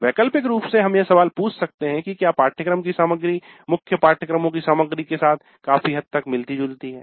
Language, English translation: Hindi, Ultimately we could ask the question the course contents overlap substantially with the contents of core courses